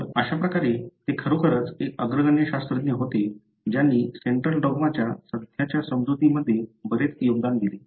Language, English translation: Marathi, So, in that way he was really a pioneering scientist who contributed much to the current understanding of central dogma